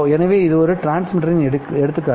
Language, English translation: Tamil, So this is an an example of a transmitter